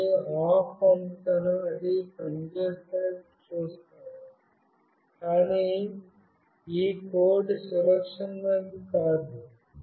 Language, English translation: Telugu, And I will send again OFF, you see it is working, but this code is not the secure one